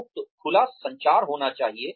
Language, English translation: Hindi, There should be free open communication